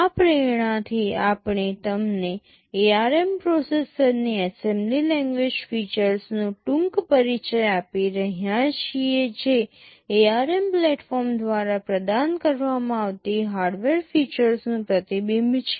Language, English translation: Gujarati, With this motivation we are giving you a brief introduction to the assembly language features of the ARM processor that is a reflection of the hardware features that are provided by the ARM platform